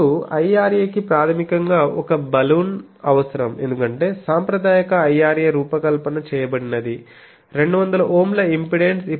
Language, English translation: Telugu, Now, IRA basically needs a Balun typically, because the conventional IRA that was designed that has an impedance of 200 Ohm